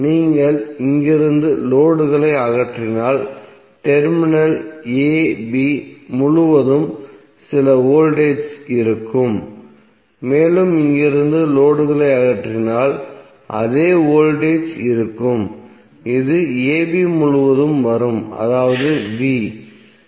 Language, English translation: Tamil, So that means that if you remove load from here there would be some voltage across Terminal a b and if you remove load from here there will be same voltage which would be coming across a b that is V